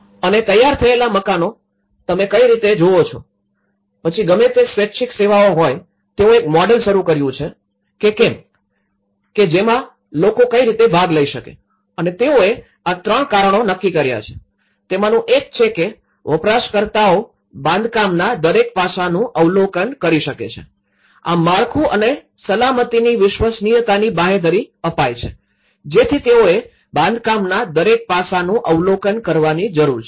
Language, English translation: Gujarati, And the completed houses is how they look like and here, whatever the voluntary services have initiated a model, where how do the users can participate and they have decided these three reasons; one is the users could observe every aspect of the construction, thus guaranteeing the reliability of the structure and safety, so that they need to observe every aspect of the construction